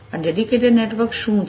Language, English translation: Gujarati, What is this dedicated network